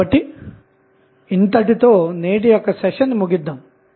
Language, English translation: Telugu, So, with this we close our today's session